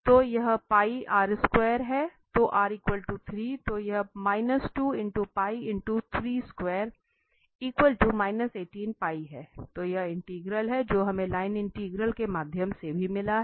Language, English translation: Hindi, So this is the integral which we got through the line integral as well